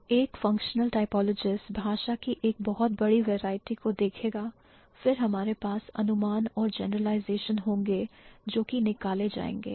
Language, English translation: Hindi, So, a functional typologist would look at a huge variety of languages, then we'll have the inferences and the generalizations would be drawn